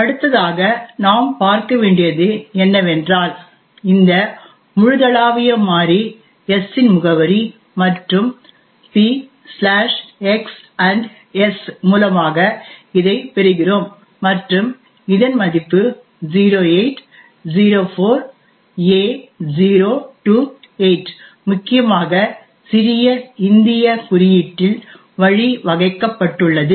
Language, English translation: Tamil, this global variable s and that we obtain by this p/x &s and we note that it has a value of 0804a028 which is essentially this one 0804a028 arranged in little Indian notation